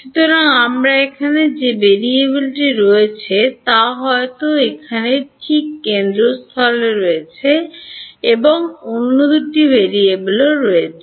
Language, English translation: Bengali, So, what is the variable that I have a here H z is here at the centre right and the other two variables are